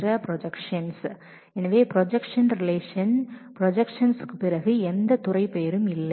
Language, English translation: Tamil, So, after projection in the projected relation there is no department name